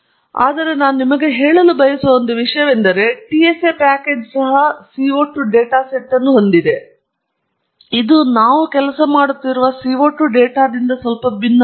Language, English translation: Kannada, But one thing that I want to tell you, the TSA package also has a CO 2 data set, which looks quite a bit different from the CO 2 data that we have been working with